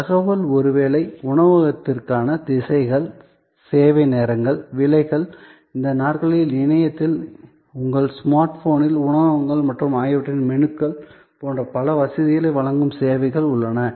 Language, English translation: Tamil, Information maybe the directions to the restaurant, the service hours, the prices, these days there are number of services, which provides such facility for restaurants and their menus and so on, on your smart phone, on the internet